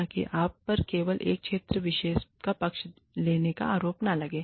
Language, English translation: Hindi, So, that you are not accused of favoring, only one particular region